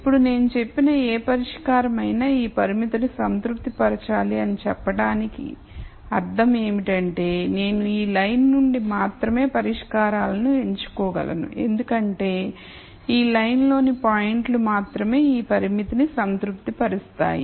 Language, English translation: Telugu, Now since we said that whatever solution I get it should sat isfy this constraint would translate to saying, I can only pick solutions from this line because only points on this line will satisfy this constraint